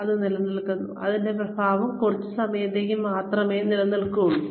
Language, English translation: Malayalam, And it stays, the effect stays only for a little while